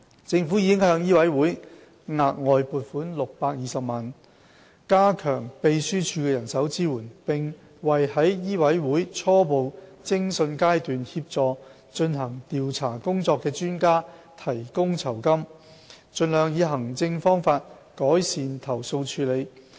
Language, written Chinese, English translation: Cantonese, 政府已向醫委會額外撥款620萬元，加強秘書處的人手支援，並為在醫委會初步偵訊階段協助進行調查工作的專家提供酬金，盡量以行政方法改善投訴處理。, The Government has provided an additional funding of 6.2 million to strengthen the manpower support for the MCHK Secretariat and to give honorarium to experts who provide assistance at the preliminary investigation stage with a view to improving complaint handling through administrative means as far as possible